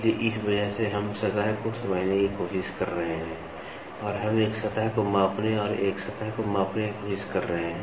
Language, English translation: Hindi, So, because of this we are trying to understand the surface and we are trying to measure a surface and quantify a surface